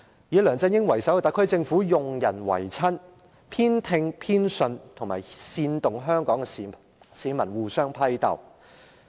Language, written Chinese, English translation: Cantonese, 以梁振英為首的特區政府用人唯親，煽動香港市民互相批鬥。, The SAR Government led by LEUNG Chung - ying has adhered to cronyism doing everything to incite bitter struggles among Hong Kong people